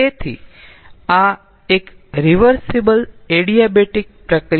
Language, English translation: Gujarati, so this is an adiabatic, reversible adiabatic process